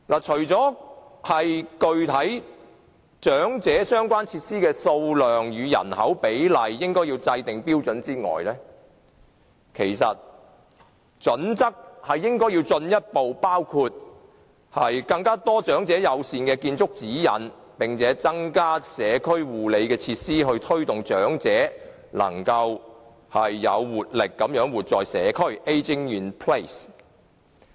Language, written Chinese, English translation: Cantonese, 除了要制訂長者設施的數量與人口比例的標準外，應該進一步包括更多長者友善的建築指引，並且增加社區護理設施，以推動長者能夠有活力地活在社區。, In addition to setting the ratio between the number of elderly facilities and population size the authorities should further stipulate some elderly - friendly building guidelines and increase community care facilities so as promote ageing in place